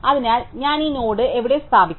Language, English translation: Malayalam, So, where do I put this node